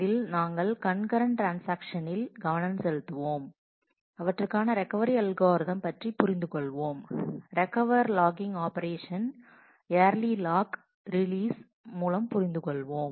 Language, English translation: Tamil, In this, we will focus on concurrent transactions and understand the recovery algorithm for them and we will understand the operation of logging for recovery with early lock release